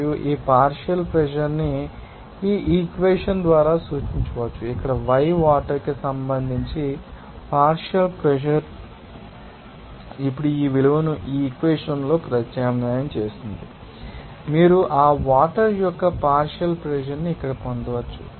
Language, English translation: Telugu, And this partial pressure can be represented by this equation here partial pressure of water with regard to y water into pressure now substitute this value here in this equation, you can simply you know get this you know partial pressure of you know that water here